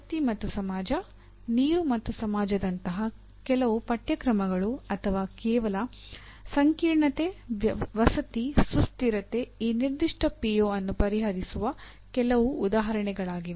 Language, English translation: Kannada, Some courses like energy and society, water and society or merely complexity, housing, sustainability are some examples that can address this particular PO